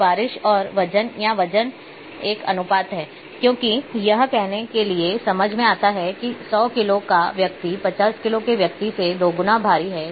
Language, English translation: Hindi, So, rainfall and the weight or weight is a ratio, because it makes sense to say that a person of 100 kg is twice as heavy as a person of 50 kg